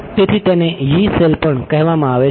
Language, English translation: Gujarati, So, it is also called a Yee cell